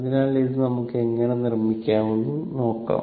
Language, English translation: Malayalam, So, let us see how we can make it